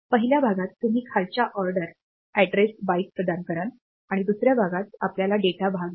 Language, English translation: Marathi, So, in the first part you provide the address for the lower order address byte and in the second part, we get the data part